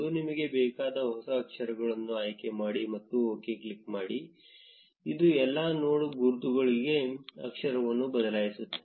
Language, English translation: Kannada, Select the new font, which you want, and click on ok, this will change the font for all the node labels